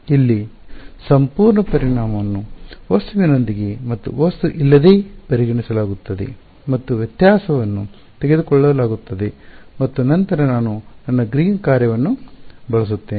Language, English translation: Kannada, Here the entire volume is considered with and without object and the difference is taken and then I use my Green’s function